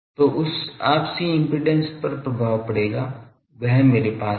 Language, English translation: Hindi, So, that mutual impedance will get effected, the movement I have a nearby thing